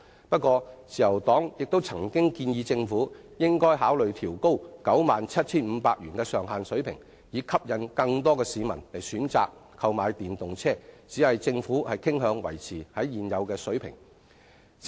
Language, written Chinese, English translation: Cantonese, 不過，自由黨亦曾建議政府考慮調高 97,500 元首次登記稅的豁免上限，以吸引更多市民選擇購買電動車，只是政府傾向維持現有水平。, The Liberal Party has also asked the Government to consider raising the 97,500 ceiling in FRT exemption to induce more people to purchase EVs but the Government prefers to maintain the current level